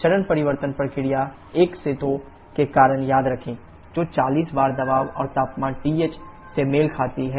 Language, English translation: Hindi, Remember as due to the phase change process 1 to 2 which corresponds to 40 bar pressure and temperature TH